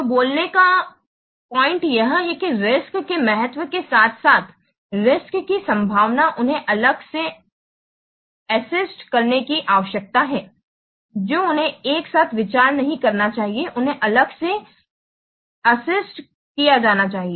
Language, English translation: Hindi, So the point of speaking is that the importance of the the risk as well as the likelihood of the risks, they need to be separately assessed